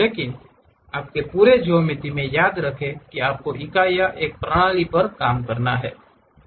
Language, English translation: Hindi, But throughout your geometry remember that you have to work on one system of units